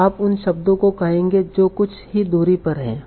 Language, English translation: Hindi, So you will say the words that are within some small at a distance